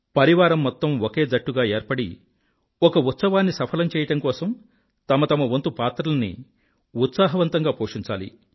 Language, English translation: Telugu, All the family members have to work as a team and play with zeal their respective roles to make this festival of examination a success